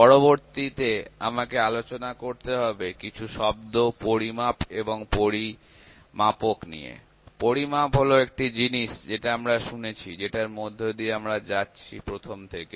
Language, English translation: Bengali, So, next I will have to discuss a few terms measurand and measurement; measurement is the one thing which we have been listening, which we have been going through from the very beginning